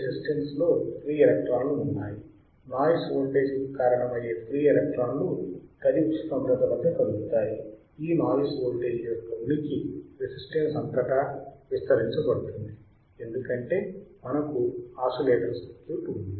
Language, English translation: Telugu, Resistance has free electrons, free electrons move at the room temperature that causes a noise voltage, this noise voltage presence across the resistance are amplified, because we have oscillator circuit